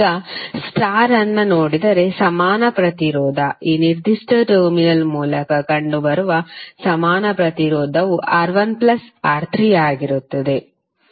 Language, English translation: Kannada, Now if you see the star, the equivalent resistance, the equivalent resistance seen through this particular terminal would R1 plus R3